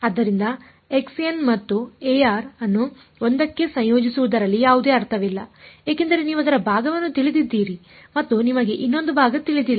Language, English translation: Kannada, So, there is no point in combining x n and a n into 1 because you know part of it and you do not know another part